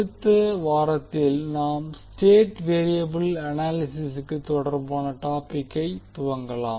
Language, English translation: Tamil, In next week we will start our topic related to state variable analysis